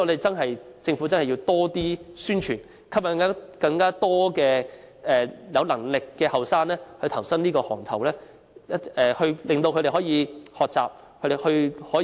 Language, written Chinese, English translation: Cantonese, 所以，政府真要多作宣傳，吸引更多有能力的年青人投身這個行業，令他們學習和有更高的可塑性。, It has to enhance publicity to draw more capable young people to the trade where they will acquire new knowledge and be more versatile